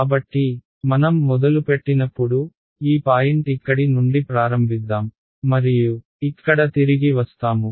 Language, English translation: Telugu, So, when I start from let us say let me start from this point over here and work my way all the way back over here